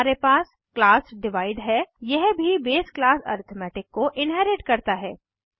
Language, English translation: Hindi, Then we have class Divide this also inherits the base class arithmetic